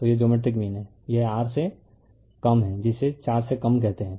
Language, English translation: Hindi, So, this is geometric mean it is less than your what you call less than 4